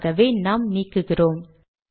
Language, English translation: Tamil, Lets delete this